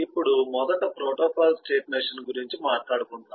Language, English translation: Telugu, first about protocol state machine